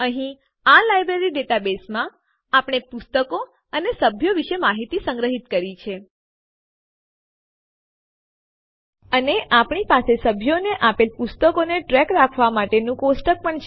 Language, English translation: Gujarati, Here, we have stored information about books and members in this Library database, We also have a table to track the books issued to the members